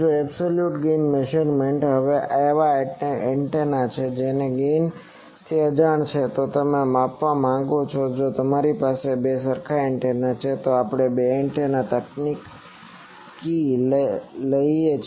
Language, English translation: Gujarati, Now absolute gain measurement; now there are if the antenna whose gain is unknown you want to measure, if you have two search identical antennas, then we take two identical antenna technique